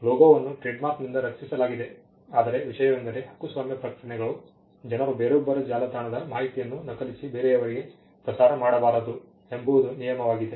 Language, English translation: Kannada, Logo is protected by trademark, but the point is the copyright notices, that people do not and mass copy things and put it and pass it off as somebody else’s website